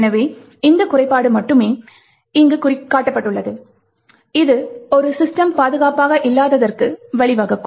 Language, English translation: Tamil, Therefore, it is only this particular flaw, which is shown over here that could lead to a system being not secure